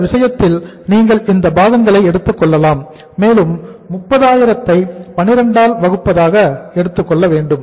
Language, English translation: Tamil, In this case you can take the this component also you can take it like say uh 30,000 divided by 12